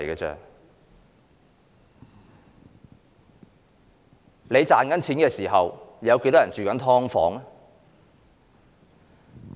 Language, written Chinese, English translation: Cantonese, 在你賺錢的時候，有多少人正住在"劏房"呢？, When you are earning money how many people are living in subdivided units?